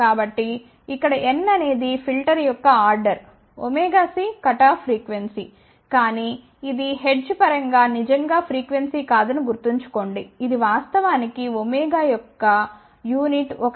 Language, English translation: Telugu, So, here n is order of the filter omega c is cutoff frequency, but remember this is not really frequency in terms of hertz , it is actually the unit of omega is a radian